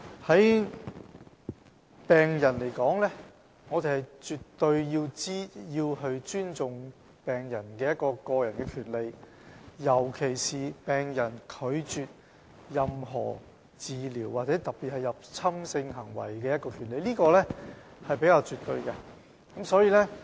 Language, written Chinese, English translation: Cantonese, 就病人來說，我們絕對尊重病人的個人權利，尤其是病人拒絕接受治療的權利，特別是"入侵性的治療"，這點是比較絕對的。, As for patients we absolutely respect the individual rights of patients particularly the right of patient to refuse treatment especially intrusive treatment . This point is relatively definite